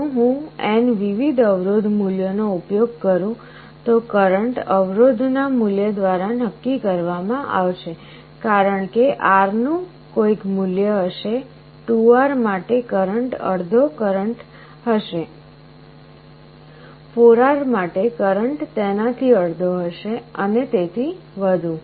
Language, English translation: Gujarati, If I use n different resistance values, the current will be determined by the value of the resistance, for R it will be having some value, 2R will be having half the current, 4R will be having half of that, and so on